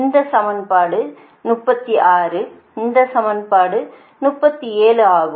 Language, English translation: Tamil, this is equation thirty six and this is thirty seven